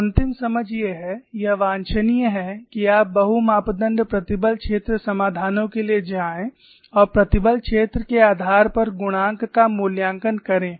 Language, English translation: Hindi, So, the final understanding is, it is desirable that you go for multi parameter stress field solutions, and evaluate the coefficients based on the stress field